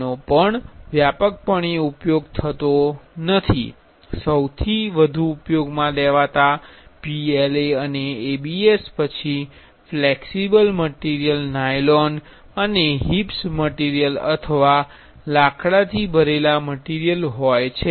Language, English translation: Gujarati, This is also not widely used, the most widely used are PLA and ABS, then flexible materials, nylon and HIPS or HIPS material or wood filled material